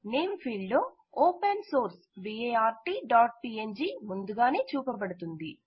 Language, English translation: Telugu, In the Name field, open source bart.png is already displayed